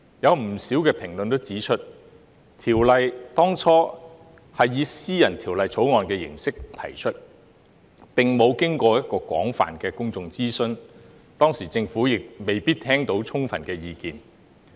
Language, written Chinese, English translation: Cantonese, 有不少評論指出，《條例》當初以私人條例草案形式提出，並沒有經過廣泛的公眾諮詢，當時政府亦未必聽到充分的意見。, A number of commentators have pointed out that back then the Ordinance was introduced in the form of a private bill without extensive public consultation . The Government might not have listened to sufficient views at that time